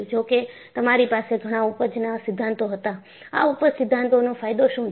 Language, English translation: Gujarati, Though, you had many yield theories, what is the advantage of these yield theories